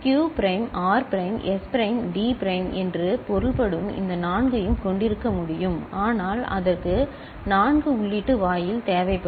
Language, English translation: Tamil, It is possible to have all these four that means, Q prime R prime S prime T prime right, but that will require a 4 input gate